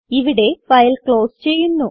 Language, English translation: Malayalam, Here we close the file